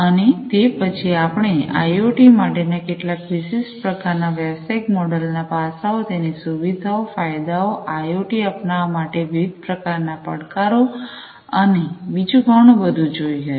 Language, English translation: Gujarati, And then thereafter, we also went through some of the specific aspects of business models for IoT, the features of it, the advantages, the different challenges in adopting them for IoT and so on